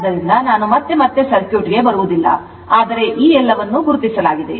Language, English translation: Kannada, So, again and again I will not come to the circuit, but everything is marked